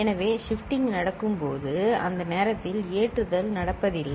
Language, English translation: Tamil, So, when shifting is happening not at that time loading is happening